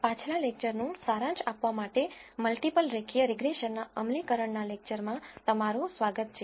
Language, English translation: Gujarati, Welcome to the lecture on implementation of multiple linear regression to summarize from the previous lecture